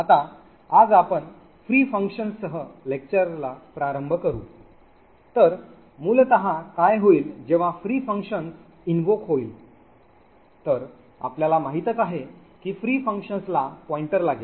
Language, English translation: Marathi, Now today we will start the lecture with the free functions, so essentially what could happen when the free function gets invoked as you know the free function would take a pointer